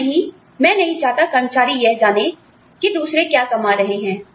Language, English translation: Hindi, And, no, I do not want employees to know, what the others are earning